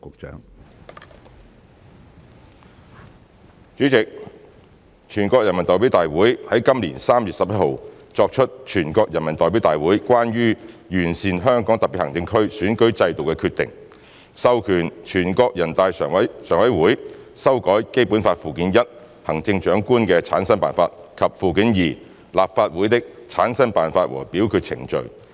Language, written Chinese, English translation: Cantonese, 主席，全國人民代表大會在今年3月11日作出《全國人民代表大會關於完善香港特別行政區選舉制度的決定》，授權全國人大常務委員會修改《基本法》附件一《行政長官的產生辦法》及附件二《立法會的產生辦法和表決程序》。, President the National Peoples Congress NPC made the Decision on Improving the Electoral System of the Hong Kong Special Administrative Region HKSAR on 11 March 2021 and authorized the NPC Standing Committee NPCSC to amend Annex I on Method for the Selection of the Chief Executive of the HKSAR and Annex II on Method for the Formation of the Legislative Council of the HKSAR and its Voting Procedures to the Basic Law